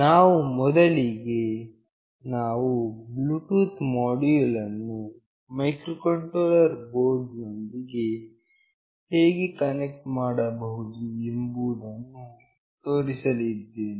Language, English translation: Kannada, We will first show how we can connect a Bluetooth module with the microcontroller board